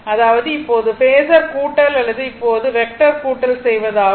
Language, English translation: Tamil, That means, now if you go for phasor sum or now you do vector sum